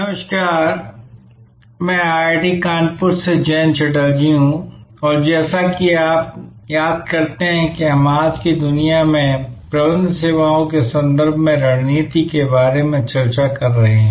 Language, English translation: Hindi, Hello, this is Jayanta Chatterjee from IIT, Kanpur and as you recall we are discussing about strategy in the context of Managing Services in today's world